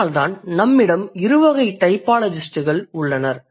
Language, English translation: Tamil, So, that is why we have two different kinds of typologists